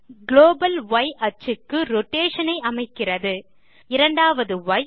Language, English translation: Tamil, The first y locks the rotation to the global y axis